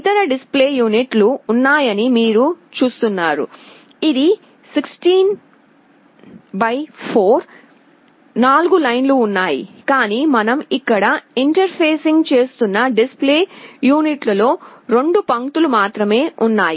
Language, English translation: Telugu, You see there are other display units, which is 16 by 4, there are 4 lines, but the display unit that we are interfacing here consists of only 2 lines